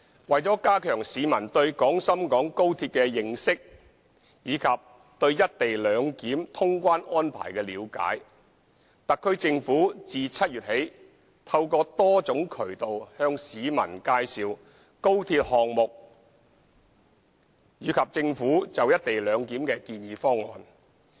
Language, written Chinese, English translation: Cantonese, 為了加強市民對廣深港高鐵的認識及對"一地兩檢"通關安排的了解，特區政府自7月起透過多種渠道向市民介紹高鐵項目及政府就"一地兩檢"的建議方案。, To enhance public understanding of XRL and the clearance procedures under the co - location arrangement the SAR Government has been introducing the XRL project and the Governments proposal for the co - location arrangement to the community through various channels since July